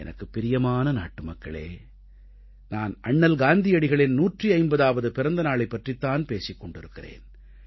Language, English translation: Tamil, My dear countrymen, I'm referring to the 150th birth anniversary of Mahatma Gandhi